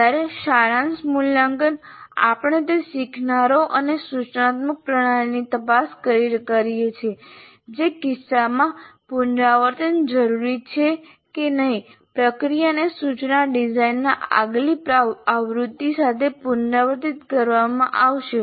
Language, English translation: Gujarati, Whereas summative evaluation, we do it by probing the learners and the instructional system to decide whether revisions are necessary in which case the process would be repeated with the next version of instructions